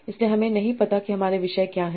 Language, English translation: Hindi, So I do not know what are my topics